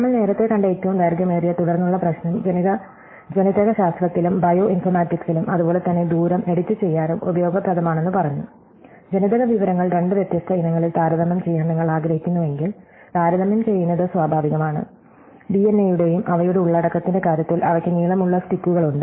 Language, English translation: Malayalam, We also said that the longest common subsequence problem that we saw earlier is useful in Genetics, in Bioinformatics and in the same way edit distance also, if you want to compare the genetic information in two different species, then it is natural to become to compare them in terms of the content of the DNA and DNA are just long strips